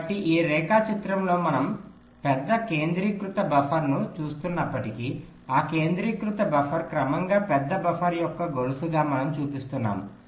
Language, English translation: Telugu, so although we are seeing big centralized buffer, that centralized buffer we are showing as a chain of progressively larger buffer